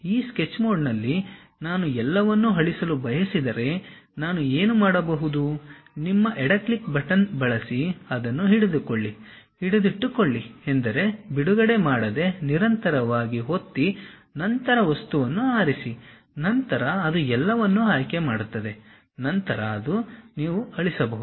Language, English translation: Kannada, If I want to delete everything in this Sketch mode what I can do is, use your left click button, hold it; hold it mean press continuously without releasing then select the object, then it select everything, then you can delete